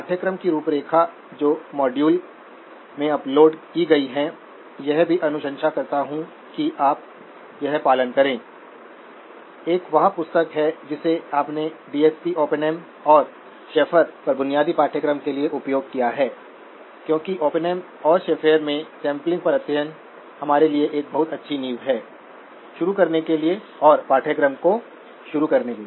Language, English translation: Hindi, The course outline that has been uploaded in module, recommends too that you follow, one is the book that you have used for the basic course on DSP Oppenheim and Schafer and because the chapter on sampling in Oppenheim and Schafer is a very good foundation for us to start and to build on the course